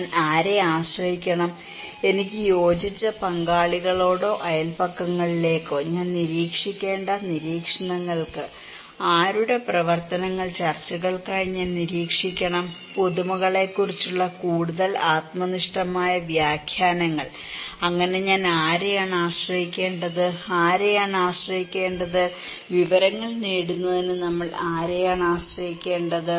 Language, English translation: Malayalam, For hearing, whom I should depend; to my cohesive partners or my neighbourhoods, for observations whom I should observe, whose activities I should observe for discussions, more intimate subjective interpretations about the innovations, whom should I depend on so, the question is to whom we should depend for acquiring information